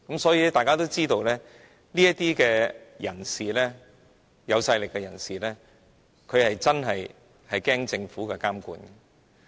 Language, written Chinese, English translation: Cantonese, 所以，大家都知道這些人——有勢力人士——會害怕政府監管。, We all know that these powerful people are afraid of the Governments regulation